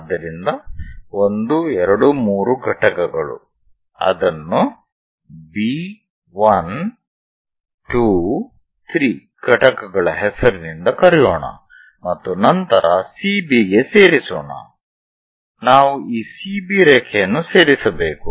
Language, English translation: Kannada, So 1, 2, 3 units so here 3 units on that, let us call that by name B 1, 2, 3 units and then join CB, we have to join this CB line